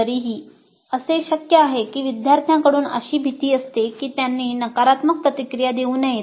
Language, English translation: Marathi, But still it is possible that there is certain fear on the part of the students that they should not be giving negative feedback